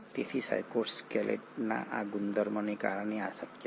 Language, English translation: Gujarati, So this is possible because of this property of cytoskeleton